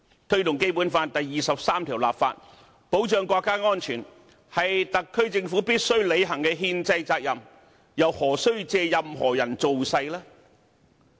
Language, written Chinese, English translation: Cantonese, 推動《基本法》第二十三條立法，保障國家安全，是特區政府必須履行的憲制責任，又何需借任何人造勢。, The SAR Government is under an unshirkable constitutional obligation to promote the legislation for Article 23 of the Basic Law to safeguard national security and it needs no campaigning by anyone